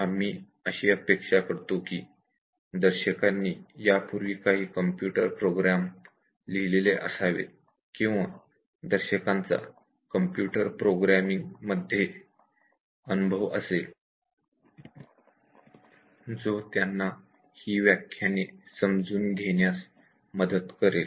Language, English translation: Marathi, We expect that viewer should have at least written some programs and some experience in programming that will help in understanding these lectures